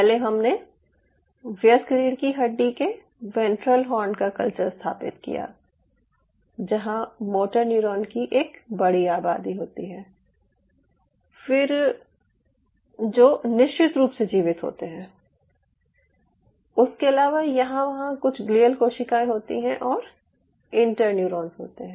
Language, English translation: Hindi, so we first of all established, ah, adult spinal cord culture, adult ventral horn, of course, where there is a huge population of motor neuron, surviving motor neurons, apart from, of course, there are some glial cells, here and there there are inter neurons